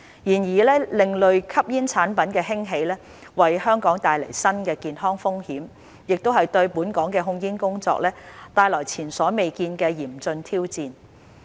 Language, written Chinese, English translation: Cantonese, 然而，另類吸煙產品的興起為香港帶來新的健康風險，亦對本港的控煙工作帶來前所未見的嚴峻挑戰。, However the rise of ASPs has brought new health risks to Hong Kong and posed unprecedented and dire challenges to our tobacco control efforts